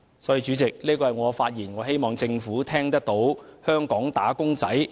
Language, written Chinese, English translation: Cantonese, 主席，我謹此陳辭，希望政府聆聽香港"打工仔"的心聲。, With these remarks President I hope the Government will listen to the voice of wage earners in Hong Kong